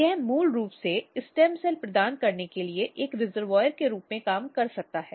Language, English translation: Hindi, So, basically or it can work as a reservoir for providing stem cells basically